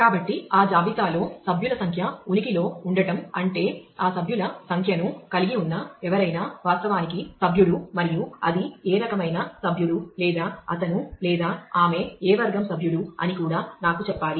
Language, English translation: Telugu, So, existence of a member number in that list will mean that someone holding that member number is actually a member and it is should also tell me what type of member or what category of member he or she is